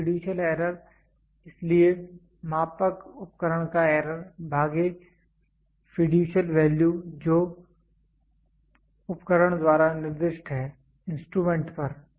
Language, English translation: Hindi, So, the fiducial error, so, the error of measuring equipment divided by the fiducial value which is specified by the equipment, on the instrument